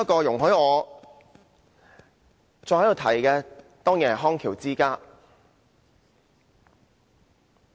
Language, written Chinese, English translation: Cantonese, 容許我再一次提出康橋之家的個案。, Please allow me to bring up the case of the Bridge of Rehabilitation Company again